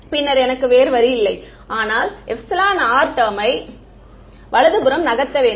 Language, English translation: Tamil, Then I have no choice, but to move the epsilon r term to the right hand side right